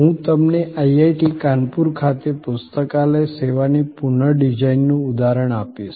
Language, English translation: Gujarati, I will give you an example of the redesigning of the library service at IIT, Kanpur